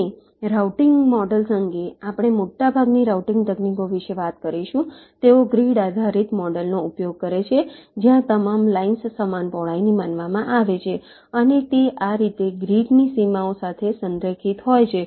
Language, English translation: Gujarati, ok, and regarding routing models, well, most of ah, the routing techniques we shall talk about, they use a grid based model where all the lines are considered to be of equal with and they are aligned to grid boundaries, like this